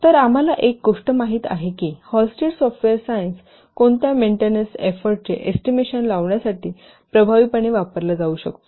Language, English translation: Marathi, So one thing we have known that Hullstead software science can be used effectively for estimating what maintenance effort